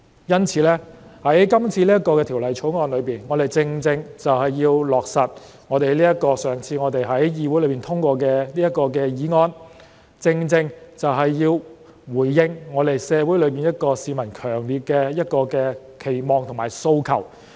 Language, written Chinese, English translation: Cantonese, 因此，在今次這項《條例草案》中，我們正正要落實我們上次在議會內通過的這項議案，要回應社會上市民一個強烈的期望和訴求。, Therefore in this Bill we are about to implement the resolution passed in this legislature last time to respond to the strong expectation and aspiration of the public in society